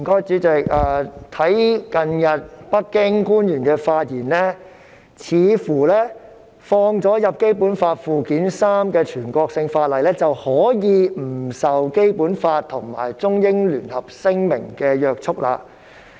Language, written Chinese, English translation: Cantonese, 主席，北京官員近日的發言，似乎表示納入《基本法》附件三的全國性法律可以不受《基本法》及《中英聯合聲明》的約束。, President the recent remarks of Beijing officials seem to suggest that national laws listed in Annex III of the Basic Law shall not be bound by the Basic Law or the Sino - British Joint Declaration